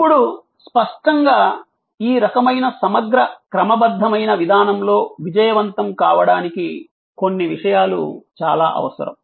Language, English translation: Telugu, Now; obviously to be successful in this kind of integral systemic approach, certain things are very necessary